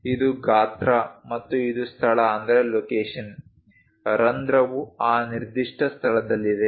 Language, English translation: Kannada, This is size and this is location, the hole is at that particular location